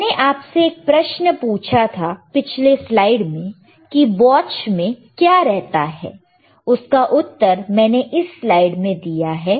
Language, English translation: Hindi, Now, I asked you a question what a watch consists of right,in the previous slides and I have given you the answer also in this slide